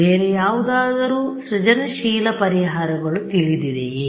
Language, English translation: Kannada, Any other any creative solutions from here